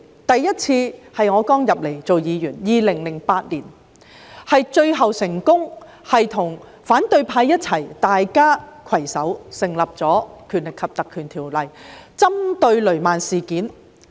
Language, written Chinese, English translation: Cantonese, 第一次，是在2008年我剛加入立法會當議員，最終成功與反對派攜手根據《條例》成立專責委員會，針對雷曼事件。, The first occasion took place shortly after I joined the Legislative Council as a Member in 2008 . I joined hands with the opposition camp and succeeded in forming a select committee under the Ordinance in the end to address the Lehman incident